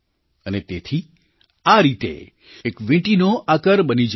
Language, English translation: Gujarati, Hence, a ringlike shape is formed